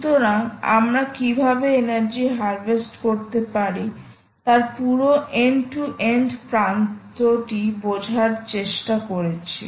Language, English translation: Bengali, so we are just trying to understand whole end to end of how to harvest energy from